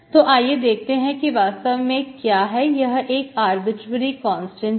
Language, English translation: Hindi, So let us see what exactly this is, we fix that, where C is, C is arbitrary constant